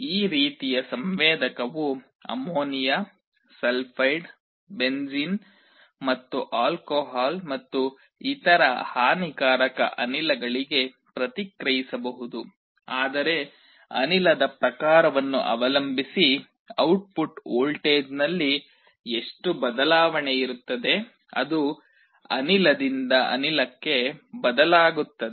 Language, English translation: Kannada, This kind of a sensor can respond to gases like ammonia, sulphide, benzene and also alcohol and other harmful gases, but depending on the type of gas, how much change there will be in the output voltage will vary, it varies from gas to gas